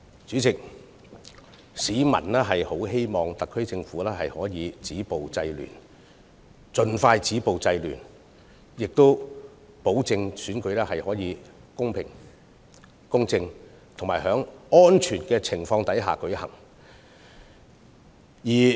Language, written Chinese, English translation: Cantonese, 主席，市民希望特區政府能盡快止暴制亂，確保選舉能夠公平公正及在安全的情況下舉行。, President the public hope that the SAR Government can take expeditious actions to stop violence and curb disorder so as to ensure the fair impartial and safe conduct of the election